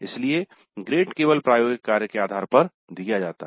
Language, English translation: Hindi, So the grade is awarded based only on the laboratory work